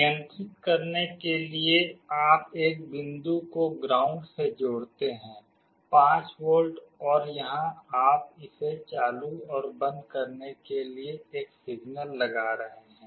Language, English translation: Hindi, For controlling you connect one point to ground, 5 volt, and here you are applying a signal to turn it on and off